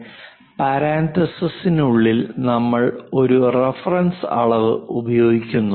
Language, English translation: Malayalam, With respect to any reference we use a reference dimensions within parenthesis